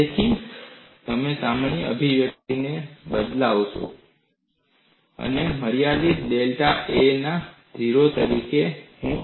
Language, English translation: Gujarati, So, if I substitute it in the general expression, I get this as G in the limit delta A tends to 0